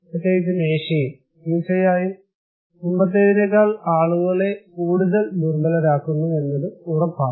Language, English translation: Malayalam, Also, in particularly in Asia is, of course, making people more vulnerable than before that is for sure